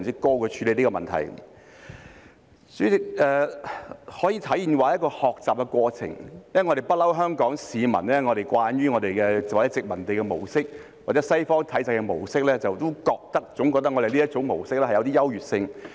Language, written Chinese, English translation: Cantonese, 代理主席，這可說是一個學習的過程，因為香港市民慣於殖民地或西方體制的模式，總覺得這種模式有優越性。, It is because Hong Kong people are accustomed to the colonial or Western systems or models thinking that these models are more superior